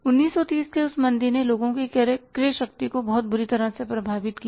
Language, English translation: Hindi, Under that recession of 1930s it affected the purchasing power of the people very badly